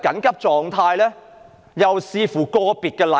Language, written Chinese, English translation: Cantonese, 有說要視乎個別情況。, Some say it all depends on individual circumstances